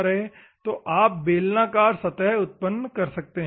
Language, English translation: Hindi, So, you can generate cylindrical surfaces